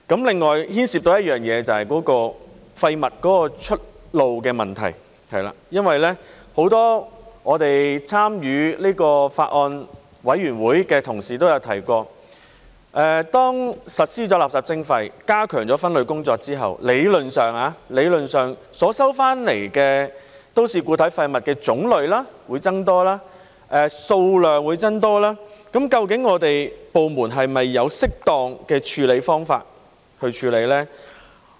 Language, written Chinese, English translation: Cantonese, 另外牽涉的就是廢物出路的問題，因為很多參與這個法案委員會的同事都曾提出，當實施垃圾徵費，加強分類工作之後，理論上收回的都市固體廢物種類會增多，數量也會增多，究竟部門是否有適當的方法去處理呢？, This I think is the baseline that we must uphold . Another issue involved is the outlet for waste . It is because as pointed out by many colleagues who took part in the Bills Committee when implementing waste charging and enhancing waste separation theoretically the types and quantities of MSW to be recovered will increase